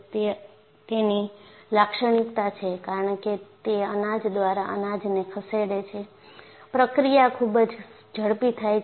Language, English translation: Gujarati, That is the characteristic of it, and because it moves grain by grain, the process is very fast